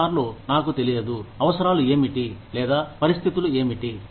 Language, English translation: Telugu, Sometimes, I do not know, what the requirements are, or what the conditions are